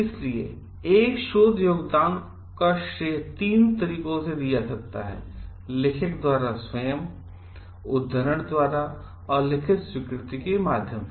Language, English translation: Hindi, So, credit for a research contribution can be assigned in three principle ways: by authorship, by citation and via a written acknowledgment